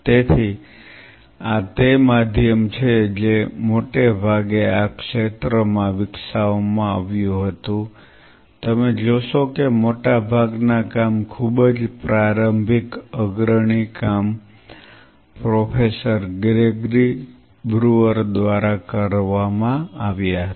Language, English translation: Gujarati, So, this is the medium which was developed mostly in this field you will see most of the work very initial pioneering work were done by Professor Gregory brewer